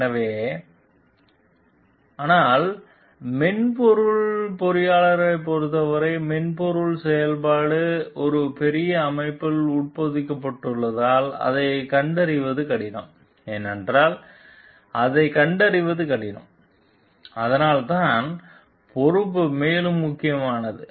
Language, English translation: Tamil, So, but for the software engineers because the softwares are embedded in a larger system like in which it functions it is difficult to detect it, because it is difficult to detect it that is why the responsibility is further critical